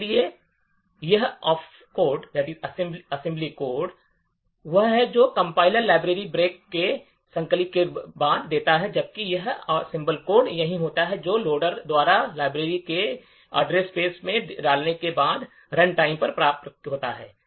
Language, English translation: Hindi, So, this assembly code is what the compiler gives out after compilation of the library, while this assembly code is what is obtained at runtime after the loader has inserted the library into the address space